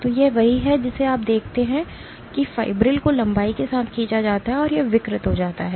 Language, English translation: Hindi, So, this is what you see the fibril is pulled along it is length and it gets deformed